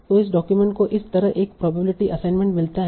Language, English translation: Hindi, So this document gets a probability assignment like that